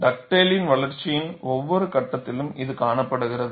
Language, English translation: Tamil, This is seen at every step of Dugdale’s development, so keep a note of this